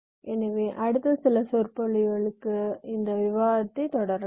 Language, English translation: Tamil, so we shall be you continuing our discussion in the next few lectures as well